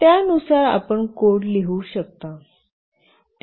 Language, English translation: Marathi, Accordingly you can have the code written